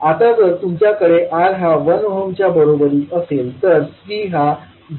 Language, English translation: Marathi, Now when you have R is equal to 1 ohm then C will be 0